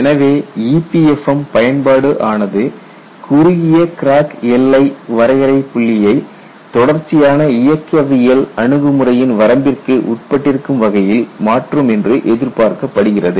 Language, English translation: Tamil, So, the use of EPFM is expected to shift the short crack demarcation point to the limit of a continuum mechanics approach